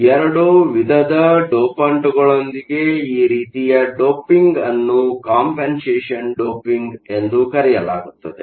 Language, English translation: Kannada, So, this type of doping with both kinds of dopants is called compensation doping